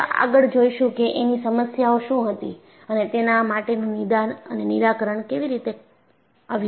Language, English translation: Gujarati, And we will see, what was the problem and how this was diagnosed and solved